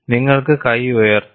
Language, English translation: Malayalam, You can raise your hand